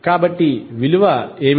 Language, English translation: Telugu, So, what would be the value